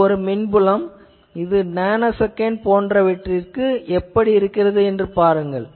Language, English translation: Tamil, And this is the electric field how it looks like for a given very nanosecond type of a thing